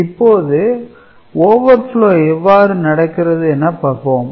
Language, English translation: Tamil, So, this is the case of having a overflow